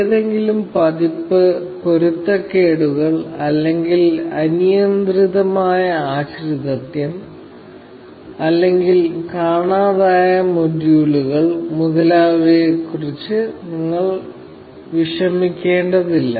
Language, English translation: Malayalam, You do not have to worry about any version mismatches, or any unmet dependencies, or any missing modules, etcetera